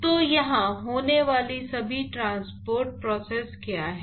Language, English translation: Hindi, So, what are all the transport processes which are occurring here